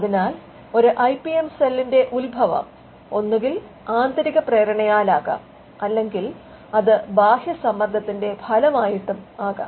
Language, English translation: Malayalam, So, the genesis of an IPM cell could be either internally driven or it could be through and external push